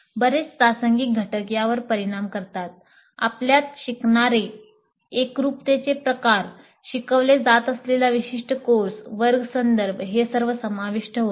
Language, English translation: Marathi, Many situational factors influence these, the kind of learners that we have, the kind of homogeneity that we have, the specific course that is being taught, the classroom context, all these would come into the picture